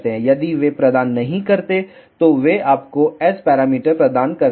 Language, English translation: Hindi, If they do not provide, they provide you S parameters